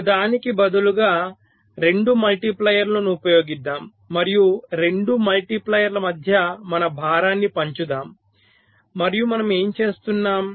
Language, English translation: Telugu, so let us use two multipliers instead of one, ok, and let us share our load between the two multipliers and what we are doing